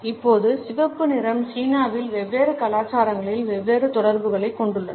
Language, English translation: Tamil, Now the red color has different associations in different cultures in China